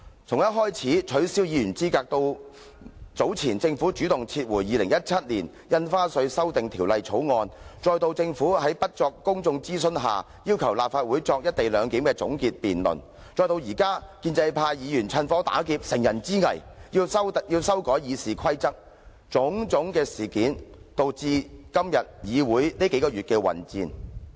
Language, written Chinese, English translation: Cantonese, 從取消議員資格，到早前政府主動撤回《2017年印花稅條例草案》，再到政府在不作公眾諮詢下要求立法會進行"一地兩檢"的總結辯論，再到現在建制派議員趁火打劫、乘人之危，要修改《議事規則》，種種事件均導致議會出現這數個月來的混戰。, Incidents such as disqualifying Members from office the Government taking the initiative to withdraw the Stamp Duty Amendment Bill 2017 and asking the Legislative Council to debate on the co - location arrangement without conducting prior public consultations and pro - establishment Members taking advantage of the disadvantageous situation to amend RoP have led to tussles in this Council these few months